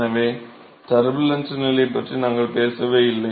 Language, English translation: Tamil, So, we never talked about Turbulent condition